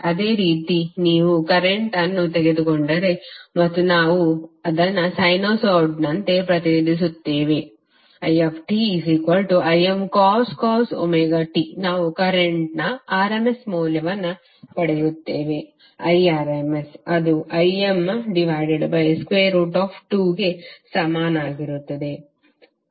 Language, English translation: Kannada, Similarly if you take current that is it and we represent it in terms of sinusoid as Im cos omega t we will get the rms value of current that is Irms equal to Im by root 2